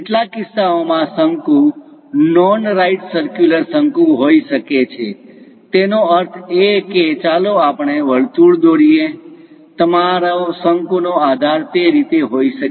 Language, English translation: Gujarati, In certain cases cones might be non right circular; that means let us draw a circle, your cone base might be in that way